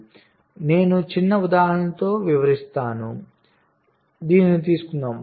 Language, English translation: Telugu, so i am illustrating with the small example